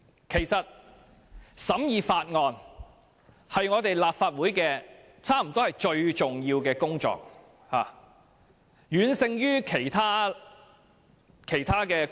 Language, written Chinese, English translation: Cantonese, 其實，審議法案可說是立法會最重要的工作，遠勝於其他工作。, In fact scrutiny of bills can be regarded as the most important functions of the Legislative Council much more important than other functions